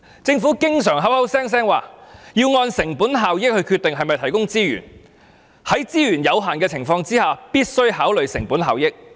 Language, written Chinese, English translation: Cantonese, 政府經常口口聲聲說要按成本效益來決定是否提供資源，在資源有限的情況下，必須考慮成本效益。, The Government often says that the provision of resources is decided on the basis of cost - effectiveness; or that it must consider cost - effectiveness given the limited resources